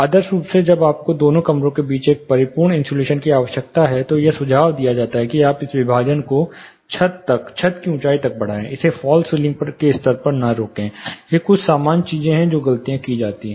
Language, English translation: Hindi, Ideally when you need a perfect insulation between both the rooms, it is suggested that you raise this partition up to the ceiling, clear ceiling height, do not stop it at the fall ceiling level, these are certain common things mistakes which are done